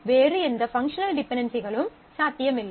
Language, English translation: Tamil, No other functional dependencies are possible